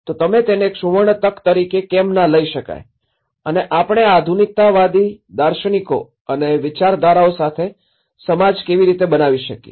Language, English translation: Gujarati, So, why not take this as a golden opportunity and how we can build a society with these modernistic philosophies and ideologies